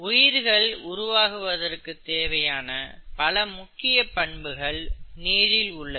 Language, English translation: Tamil, Water has very many important properties that make life possible, okay